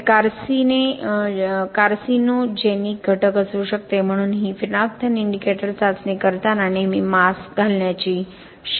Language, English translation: Marathi, Since it can be a carcinogenic agent, so it is always recommended to have a mask while doing this phenolphthalein indicator test